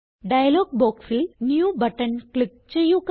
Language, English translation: Malayalam, Click on the New button in the dialog box